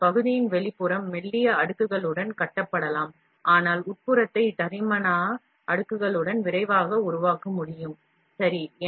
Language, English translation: Tamil, The outline of the part can therefore, be built in with thin layers, but the interior can be built more quickly with thick layers, ok